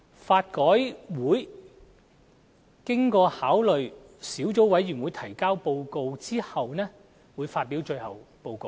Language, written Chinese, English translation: Cantonese, 法改會經考慮小組委員會提交的報告後，會發表最後報告。, LRC will then publish a final report in the light of the Sub - committees report